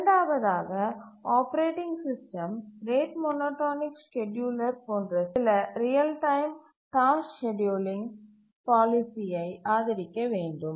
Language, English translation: Tamil, The operating system should support some real time task scheduling policy like the rate monotonic scheduler